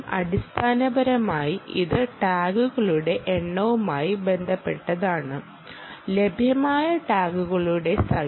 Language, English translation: Malayalam, basically its related to the number of tags, which population of tags which are available